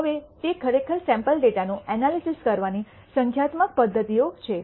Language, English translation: Gujarati, Now, those are numerical methods of actually doing analysis of a sample data